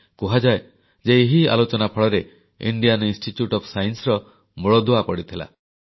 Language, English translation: Odia, It is said… this very discussion led to the founding of the Indian Institute of Science